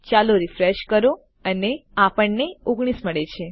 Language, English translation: Gujarati, Lets refresh that and we can get 19